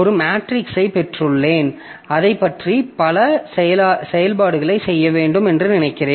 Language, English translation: Tamil, As I was telling, like suppose I have got a matrix and I have to do several operations on that